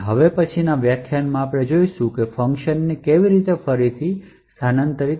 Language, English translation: Gujarati, In the next lecture we will see how functions are made relocatable